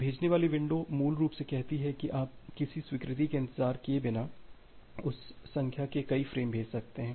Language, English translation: Hindi, So, the sending window basically says that you can send that many number of frames without waiting for an acknowledgement